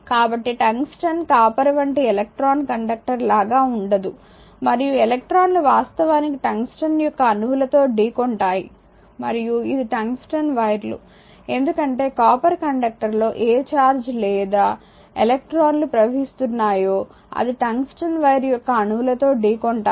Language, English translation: Telugu, So, tungsten is not as will be as your electrical conductor or as copper and electrons actually experience collisions with the atoms of the tungsten right and that is the tungsten wires, because that if that is to the copper conductor that your what you call charge or electron is flowing and it will make a your what you call collision with the atoms of the tungsten wire